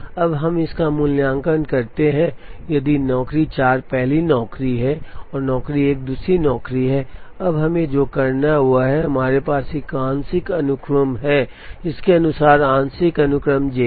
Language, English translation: Hindi, Now, let us evaluate this, if job 4 is the first job and job 1 is the second job, now what we have to do is, now we have what is called a partial sequence, so according to this, the partial sequence is J 4 and then J 1